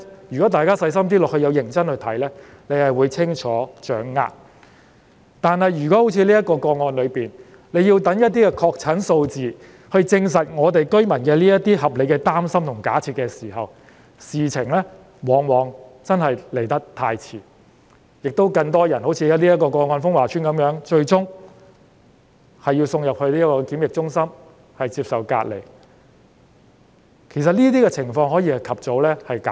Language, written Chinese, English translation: Cantonese, 如果要好像峰華邨的情況一樣，待確診個案數字證實居民的擔心和有關假設屬合理後才作出跟進，事情往往已經太遲，而且，這會令更多人好像峰華邨的個案一樣，最終要被送入檢疫中心隔離，但其實這情況可以及早避免。, It is often too late if we just follow things up when the number of confirmed cases has established the validity of the residents worries and the relevant assumptions as in the case of Fung Wah Estate . What is worse this practice will increase the number of persons who finally need to be sent to quarantine centres for isolation just like the case of Fung Wah Estate while this can actually be avoided at an early stage